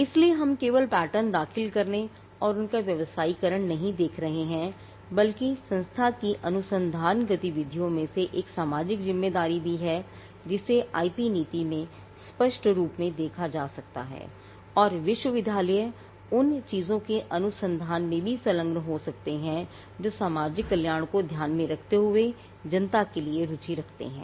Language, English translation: Hindi, So, we are not just looking at filing patterns and commercializing them, but there is also a social responsibility in the research activities of the institution that can be spelled out clearly in the IP policy, and the university can also engage in research of things that are of interest to the public keeping in mind the societal welfare